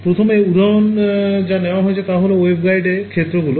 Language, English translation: Bengali, So, the first example they have is for example, fields in a waveguide